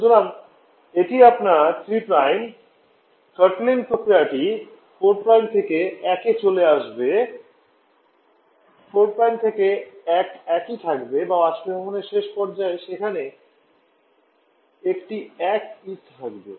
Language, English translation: Bengali, So you throttling this here 3 Prime throttling process will go to this leading to 4 Prime, 4 prime to 1 will remain the same or at the end point of evaporation there is one will be remain same